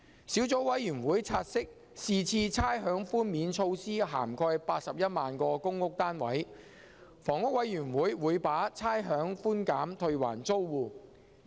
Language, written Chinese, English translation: Cantonese, 小組委員會察悉是次差餉寛免措施涵蓋81萬個公屋單位，香港房屋委員會會把差餉寬減退還租戶。, The Subcommittee has noted that the rates concession measure covers some 810 000 public housing units and the rates concessions will be rebated to the tenants by the Housing Authority